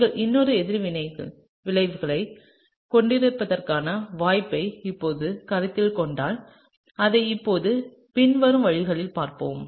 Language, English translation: Tamil, If you now consider the possibility that you can have another reaction outcome, let’s look at it now in the following way